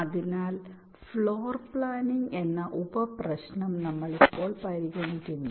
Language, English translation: Malayalam, so we consider now the next sub problem, namely floor planning